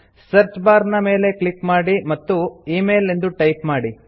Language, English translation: Kannada, Click on the search bar and type email